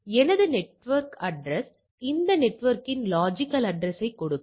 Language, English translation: Tamil, So, this is my physical address give me a logical address of this network and then I consider as a all right